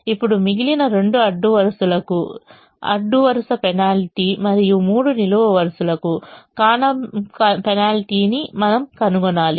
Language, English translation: Telugu, now we have to find out the row penalty for the remaining two rows and the column penalty for the three columns